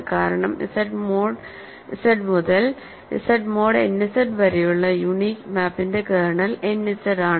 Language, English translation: Malayalam, So, this is because the reason is the unique map from Z mod Z to Z mod n Z has kernel n Z right